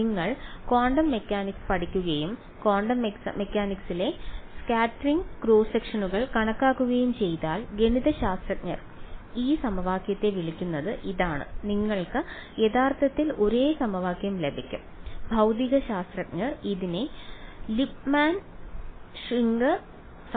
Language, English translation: Malayalam, This is what the math people call this equation if you study quantum mechanics and calculate scattering cross sections in quantum mechanics you get actually the exact same equation and the physicists the physics people call it by the name Lipmann Schwinger equation